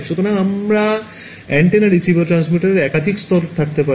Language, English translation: Bengali, So, I could have multiple layers of antennas receivers and transmitters